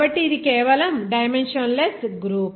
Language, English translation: Telugu, So this is a dimensionless group simply